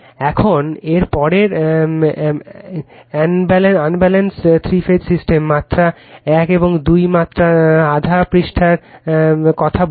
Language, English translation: Bengali, Now, next is unbalanced three phase system, just one or two or just half page I will tell you